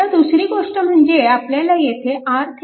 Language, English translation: Marathi, Now next is next is your equivalent R Thevenin